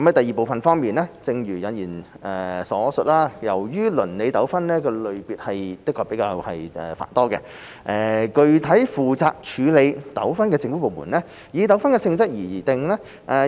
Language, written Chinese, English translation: Cantonese, 二正如引言所述，由於鄰里糾紛類別繁多，具體負責處理糾紛的政府部門以糾紛的性質而定。, 2 As mentioned in the preamble due to the variety of neighbourhood disputes the government departments responsible for handling the cases hinge on the nature of the disputes